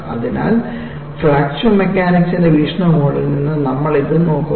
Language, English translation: Malayalam, So, this we look at, from the point of view of fracture mechanics